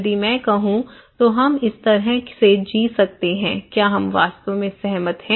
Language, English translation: Hindi, If I want to say okay, we can live like this, really we agree